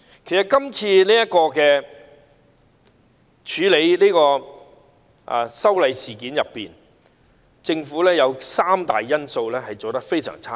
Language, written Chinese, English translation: Cantonese, 其實政府在處理這次修例事件中，當中有三大方面做得非常差。, Actually this time in dealing with the legislative amendment exercise the Government has done a very poor job in three major aspects